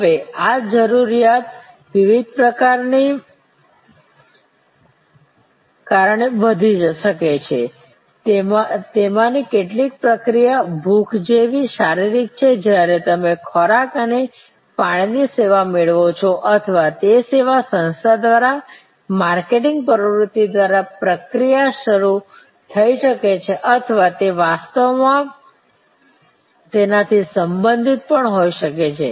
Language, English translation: Gujarati, Now, this need can raised due to various triggers, some of those triggers are physical like hunger, when you seek a food and beverage service or it could be triggered by the service organization through it is marketing activity or it could be actually also related to certain personnel esteem or social need